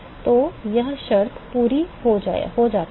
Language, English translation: Hindi, So, when this condition is satisfied